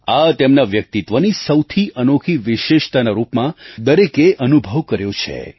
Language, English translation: Gujarati, Everyone has experienced this as a most unique part of his personality